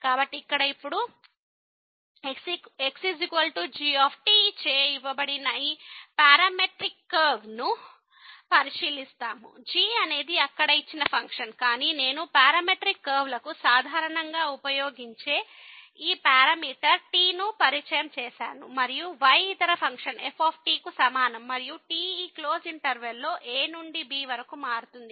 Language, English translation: Telugu, So, here now we consider this parametric curve which is given by is equal to ); is the function the given function there, but I have introduced this parameter which is commonly used for the parametric curves and the is equal to the other function and varies from to in this close interval